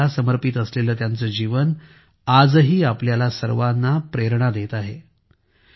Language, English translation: Marathi, Her life dedicated to humanity is still inspiring all of us